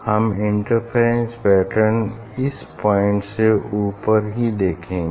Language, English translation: Hindi, we will see the interference pattern on top of this point